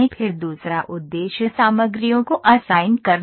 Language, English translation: Hindi, Then second objective is assigning the materials